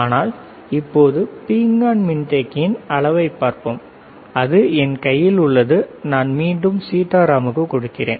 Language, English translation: Tamil, But, right now let us see if the ceramic capacitor is there, which is in my hand and I am giving to again to Sitaram